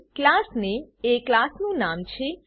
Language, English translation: Gujarati, Class name is the name of the class